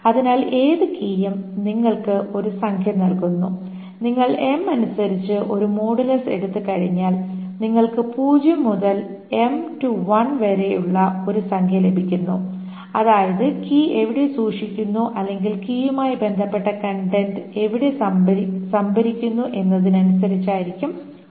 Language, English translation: Malayalam, So any key gives you a number, once you take the modulus according to M, gives you a number between 0 to m minus 1, which is what where the key is stored, or the contents corresponding to that key are stored